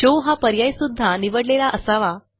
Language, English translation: Marathi, The SHOW option should also be checked